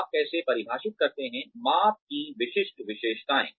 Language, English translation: Hindi, How do you define, the specific characteristics of measurement